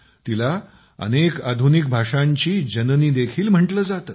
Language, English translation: Marathi, It is also called the mother of many modern languages